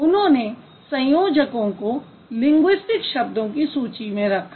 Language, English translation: Hindi, So, so he actually added the conjunctions in the list of linguistic items